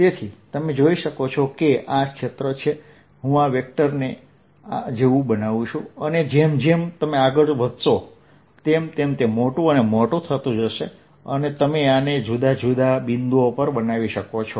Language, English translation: Gujarati, so you can see that the field is i make this vector is like this, and as you go farther and farther out, it's going to be bigger and bigger, alright